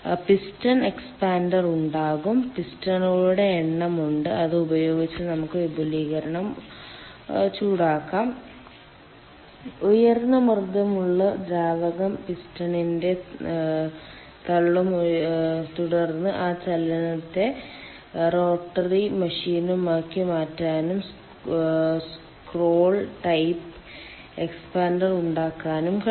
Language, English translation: Malayalam, there are number of pistons and with that we can have the expansion hot fluid, um ah, sorry, hot and high pressure fluid will ah, push the piston and then that motion can be converted into rotary motion and there can would be scroll type expander